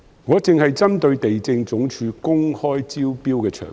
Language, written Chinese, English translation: Cantonese, 我只針對地政總署公開招標的場地。, My focus is just on the sites granted through open tender by LandsD